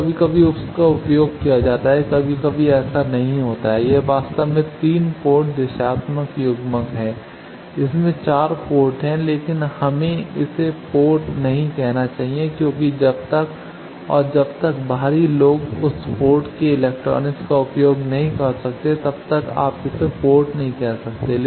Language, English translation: Hindi, So, sometimes it is used sometimes not so this is actually 3 port directional coupler it has 4 port, but we should not call it a port because unless and until outsiders can access the electronics of that port you cannot call it a port